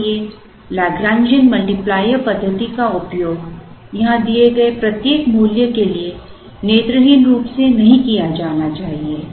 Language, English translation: Hindi, So, Lagrangian multiplier method should not be used blindly, for every value that is given here